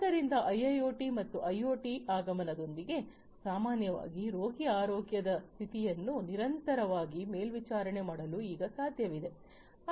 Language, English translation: Kannada, So, with the advent of IIoT and IoT, in general, it is now possible to continuously monitor the health condition of the patient